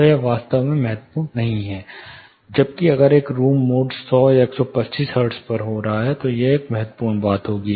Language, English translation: Hindi, So, it is not really crucial thing, where as if a room mode is occurring at a 100, or 125 hertz, it will be a crucial thing to address